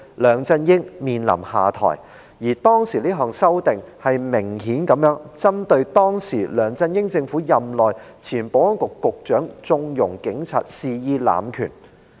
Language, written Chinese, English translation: Cantonese, 梁振英面臨下台，當時的修正案明顯是針對當時梁振英政府內的前保安局局長縱容警察肆意濫權。, Mr LEUNG Chun - ying was under pressure to step down . At the time the amendment obviously took aim at the former Secretary for Security S for S in LEUNGs Government for condoning the polices wanton abuse of power